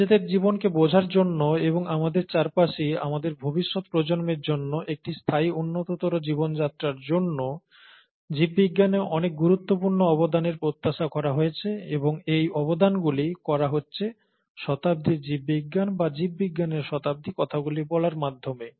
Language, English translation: Bengali, So many important contributions are expected to be made in biology to understand life ourselves, and to make a sustainable better life for ourselves as well as our future generations, and those contributions are being made as we speak in this century for biology, or century of biology